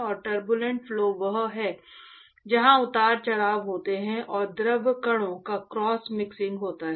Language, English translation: Hindi, And Turbulent flow is where there are fluctuations and there is cross mixing of fluid particles